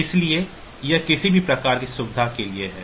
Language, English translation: Hindi, So, that is just for can say some sort of convenience